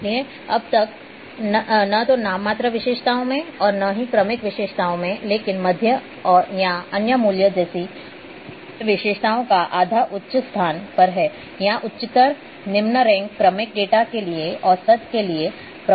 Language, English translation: Hindi, So, far neither in nominal attributes nor in ordinal attributes, but the median or other values such as the half of the attributes are higher ranked or higher lower ranked is effective substitute for average for ordinal data